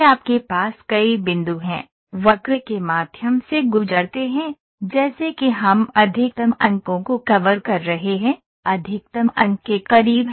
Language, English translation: Hindi, You have several points, pass the curve through, as sets we are covering maximum number of points, are closer to maximum number of points